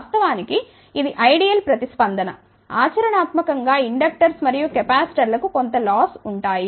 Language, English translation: Telugu, Of course, this is an ideal response practically inductors and capacitors will have some losses